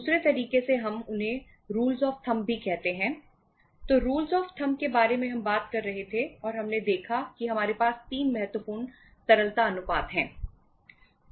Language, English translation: Hindi, So rules of thumb we were talking about and we saw that say uh we have 3 important liquidity ratios